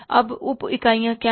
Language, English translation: Hindi, What are the subunits now